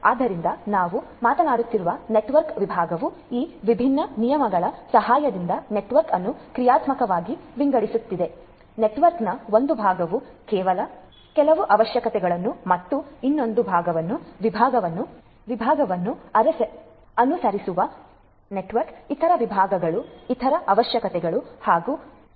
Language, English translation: Kannada, So, network segmentation we are talking about segment is segmenting the network dynamically with the help of these different rules to have one part of the network follow certain requirement and the other part the segment other segments of the network follow other requirements and rules